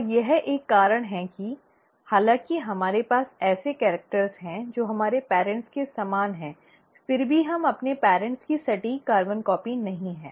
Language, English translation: Hindi, And this is one of the reasons why, though we have characters which are similar to our parents, we are still not an exact carbon copy of our parents